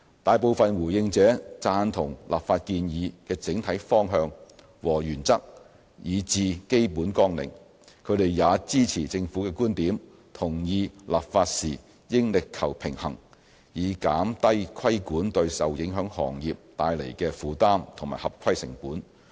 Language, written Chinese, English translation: Cantonese, 大部分回應者贊同立法建議的整體方向和原則以至基本綱領，也支持政府的觀點，同意立法時應力求平衡，以減低規管對受影響行業帶來的負擔和合規成本。, A majority of the respondents indicated agreement with the overall direction and principles and the broad framework of the legislative proposal and shared our view that a balanced approach to legislation should be adopted so as to minimize regulatory burden and compliance cost on affected businesses